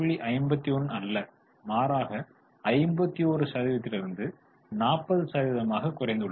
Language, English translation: Tamil, 51, 51 percent as a percentage and it has gone down to 40%